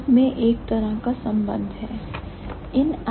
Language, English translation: Hindi, There is some kind of connection